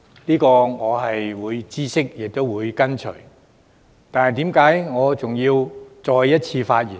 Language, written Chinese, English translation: Cantonese, 雖然我明白亦會遵從，但為何我仍要再次發言呢？, While I understand and will follow your advice why do I still speak again?